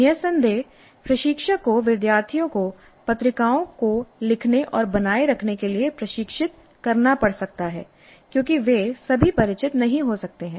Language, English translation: Hindi, Of course, instructor may have to train the students in how to write and maintain the journals because all of them may not be familiar